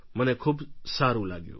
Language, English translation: Gujarati, I felt very nice